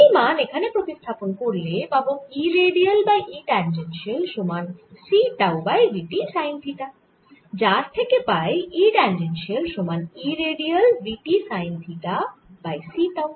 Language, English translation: Bengali, substituting this here, i get e redial divided by e tangential is equal to c tau over v t sin theta, which give me e tangential is equal to e radial v t sin theta divided by c tau